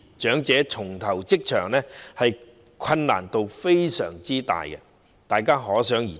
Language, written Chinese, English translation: Cantonese, 長者重投職場，難度非常大，大家可想而知。, It is thus evident how difficult it is for elderly persons to take up employment again